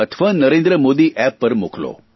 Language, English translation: Gujarati, Or send them to me on NarendraModiApp